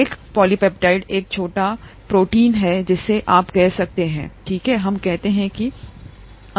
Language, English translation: Hindi, A polypeptide is a small, small protein you can say, okay let us say that for approximately now